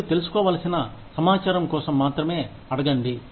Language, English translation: Telugu, Ask only for information, that you need to know